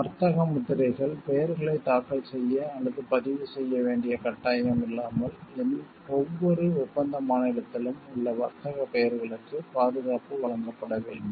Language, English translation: Tamil, Trade names; protection must be granted to trade names in each contracting state without there being an obligation to file or register the names